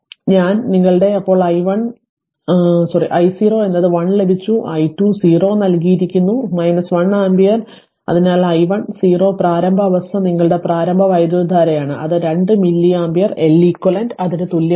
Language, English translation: Malayalam, So, i your then i 0 is 1 we have got it and i 2 0 is given minus 1 ampere therefore, i 1 0 initial condition that is your initial current that is 2 milli ampere right the L eq equal to that